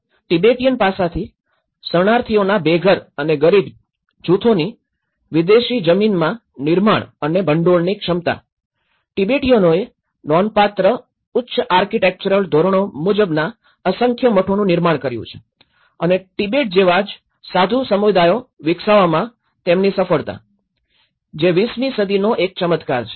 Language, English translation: Gujarati, So, from the Tibetan aspect, the ability of homeless and impoverished groups of refugees to build and fund in foreign lands, Tibetan have built a numerous monasteries of a remarkable high architectural standard and their success in developing viable monastic communities similar to those of Tibet, one of the miracles of the 20th century